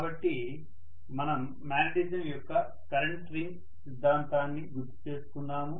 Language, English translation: Telugu, So we will just recall the current ring theory of magnetism